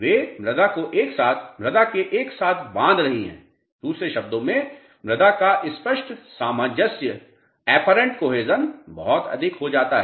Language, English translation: Hindi, They are binding the soil together in a holding the soil together, in other words apparent cohesion of the soil becomes much more ok